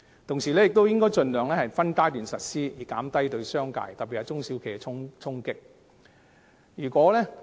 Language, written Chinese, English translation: Cantonese, 同時，政府應該盡量分階段實施，以減低對商界特別是中小企的衝擊。, At the same time the Government should implement the relevant arrangements in phases as far as possible so as to reduce the impact on the business sector particularly SMEs